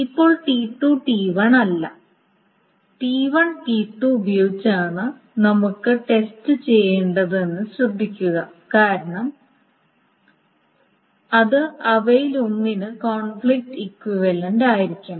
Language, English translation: Malayalam, Now note that we only needed to test with T1, T2 and not T2 T1 because it has to be conflict equivalent to one of them